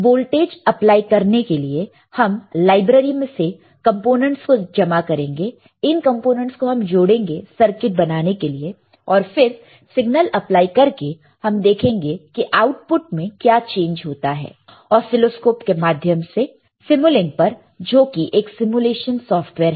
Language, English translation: Hindi, To apply voltage, you see we will gather the components from the library, we will attach this components to form a circuit we will apply a signal and you will see what is the change in output using the oscilloscope in simulink which just simulation software